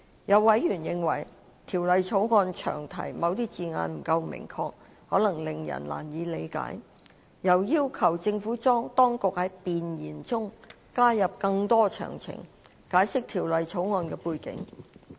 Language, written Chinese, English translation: Cantonese, 有委員認為，《條例草案》詳題的某些字眼不夠明確，可能令人難以理解，又要求政府當局在弁言中加入更多詳情，解釋《條例草案》的背景。, A number of members have commented that certain words in the Long Title of the Bill are not specific enough and may lead to difficulty in comprehension and called on the Administration to include more details in the Preamble to explain the background of the Bill